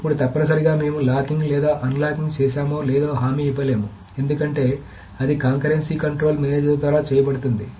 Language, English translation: Telugu, Now, essentially we cannot guarantee whether the locking or unlocking has been done because that is done by the Conquerrency Control Manager